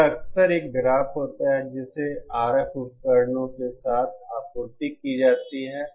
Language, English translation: Hindi, This is often a graph that is supplied with RF devices